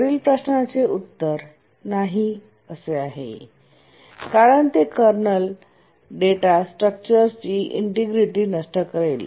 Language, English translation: Marathi, The answer is no because that will destroy the integrity of the kernel data structures